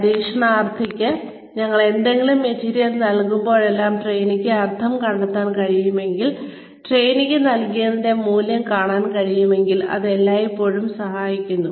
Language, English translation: Malayalam, Whenever we give any material to the trainee, it always helps, if the trainee can see meaning , can see value, in whatever has been given, to the trainee